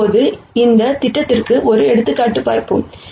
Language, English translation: Tamil, Now, let us move on to doing an example for this projection